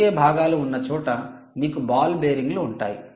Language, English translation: Telugu, wherever there are rotating parts, you have ball bearings